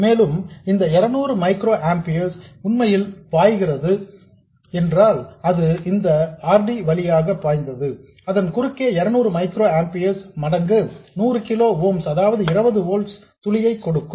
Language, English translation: Tamil, And if this 200 microampiers is really flowing, it will flow through this RD and across it it will give you a drop of 200 microamperes times 100 kilo ooms which is 20 volts